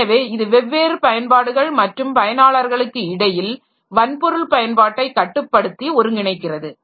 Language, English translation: Tamil, So, it controls and coordinates use of hardware among various applications and users